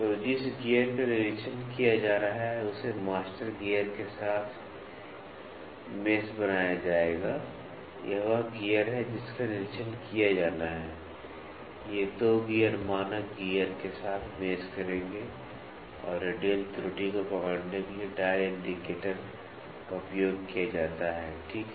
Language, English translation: Hindi, So, the gear being inspected will be made to mesh master gear, this is the gear to be inspected, these 2 gears will mesh with the standard gear and the dial indicator is used to capture the radial error, ok, that this is used to capture the radial error